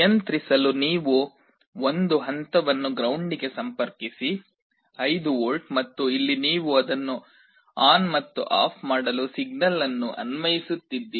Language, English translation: Kannada, For controlling you connect one point to ground, 5 volt, and here you are applying a signal to turn it on and off